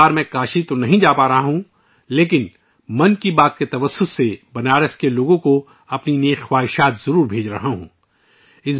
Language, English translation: Urdu, This time I'll not be able to go to Kashi but I am definitely sending my best wishes to the people of Banaras through 'Mann Ki Baat'